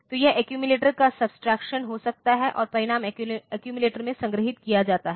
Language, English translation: Hindi, So, it can be subtraction the accumulator and the result is stored in the accumulator